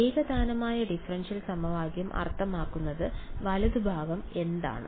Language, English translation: Malayalam, Homogeneous differential equation means the right hand side is